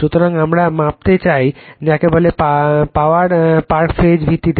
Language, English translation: Bengali, So, we want to measure your what you call the park phase power park phase basis right